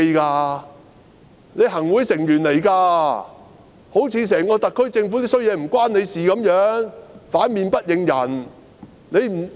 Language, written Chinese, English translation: Cantonese, 她是行政會議成員，好像整個特區政府的壞事也跟她無關一樣，反面不認人。, She is a member of the Executive Council sic and she sounded as if the evildoings of the SAR Government have nothing to do with her going back on her words and changing her position